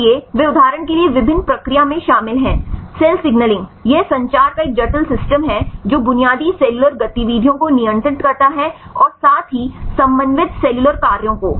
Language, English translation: Hindi, So, they involved in various process for example, cell signaling right this is a complex system of communication right which governs the basic cellular activities as well as the coordinating cellular actions see ubiquitination